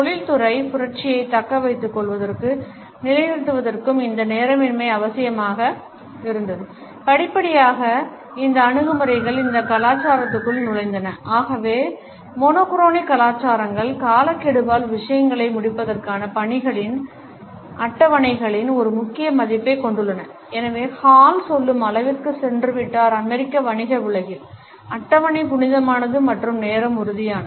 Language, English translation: Tamil, This punctuality was necessary to maintain and sustain industrial revolution and gradually these attitudes have seeped into these cultures and therefore, monochronic cultures place a paramount value on schedules on tasks on completing the things by the deadline and therefore, Hall has gone to the extent to say that in the American business world, the schedule, is sacred and time is tangible